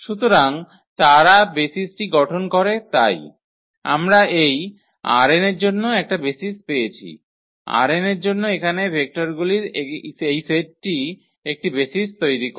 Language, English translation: Bengali, So, they form the basis so, we got a basis for this R n, this set of vectors here this forms a basis for R n